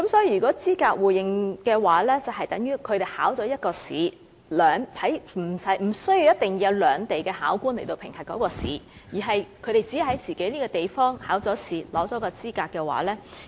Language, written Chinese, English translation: Cantonese, 如果是資格互認的話，他們在自己地方通過一次考試，不一定要由兩地考官進行評核，便可取得資格，便可以在兩地得到互認。, The mutual recognition arrangement if implemented would enable local chefs to obtain the qualifications mutually recognized in the Mainland and Hong Kong in one single assessment held locally without the need for dual assessments by examiners in two places